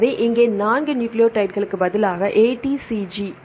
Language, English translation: Tamil, So, here instead of 4 nucleotides right A T C G